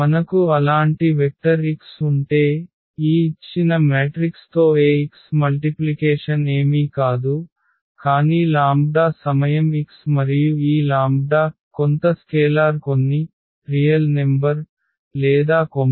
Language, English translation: Telugu, So, if we have such a vector x whose multiplication with this given matrix a Ax is nothing, but the lambda time x and this lambda is some scalar some real number or a complex number